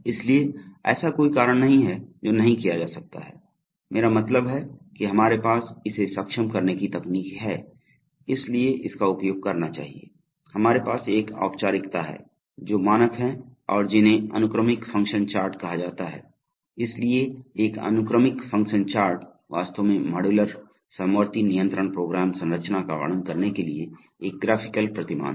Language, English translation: Hindi, So, there is, there is no reason why this cannot be done, I mean we have the technology to enable it, so therefore we must use it, so therefore we have a formalism which is, we standard and which are called sequential function charts, so a sequential function chart is actually a graphical paradigm for describing modular concurrent control program structure